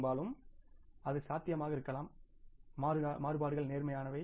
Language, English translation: Tamil, Largely it may be possible the variances are positive